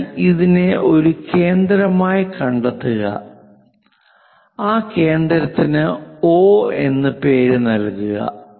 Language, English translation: Malayalam, So, locate this one as centre, name that centre as O